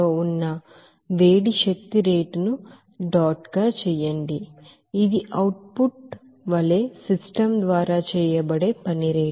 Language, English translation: Telugu, And Q dot the rate of heat energy that is into the system and Ws dot, this is the rate of work done by the system as the output